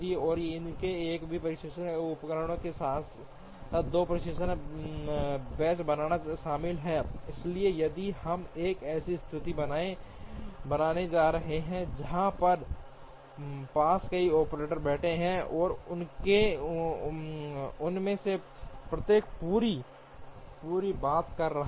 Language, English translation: Hindi, And that would involve creating 2 test benches with the same testing equipment, so if we are going to have a situation where we have several operators sitting, and each one of them doing the entire thing